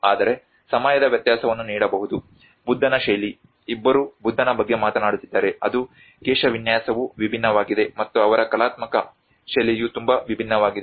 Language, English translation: Kannada, \ \ But you can see the time difference, the style of Buddha, both of them are talking about the Buddha\'eds where it is the hairstyle have been different, and their artistic style is also very different